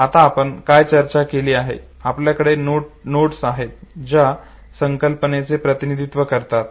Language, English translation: Marathi, Now what we have discussed, we have the notes which represent the concept